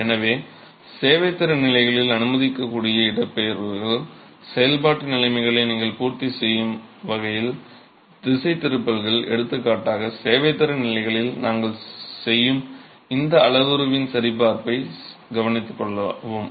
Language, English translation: Tamil, So the allowable displacements at the serviceability condition are kept to a level such that you satisfy functional conditions, deflections for example can be taken care of within this parameter check that we do at the serviceability levels